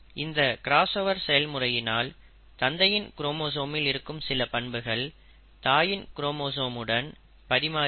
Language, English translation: Tamil, So now because of the cross over, some characters of the father’s chromosome have been exchanged with the mother’s chromosome and vice versa